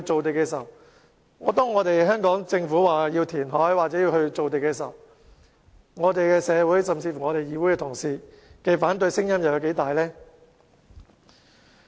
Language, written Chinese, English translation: Cantonese, 但是，當香港政府說要填海或造地時，社會甚至議會同事的反對聲音又有多大呢？, But when the SAR Government proposed to develop new land through reclamation how strong the opposition from the community and colleagues of this Council would be?